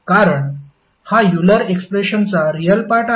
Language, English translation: Marathi, Because this is the real part of our Euler expression